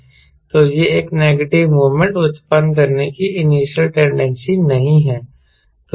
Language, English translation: Hindi, so it doesnt have initial tendency to generate a negative moment